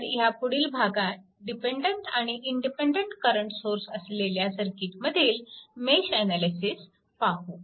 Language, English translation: Marathi, So, in this section we will apply mesh analysis to circuit that contain dependent or independent current sources, right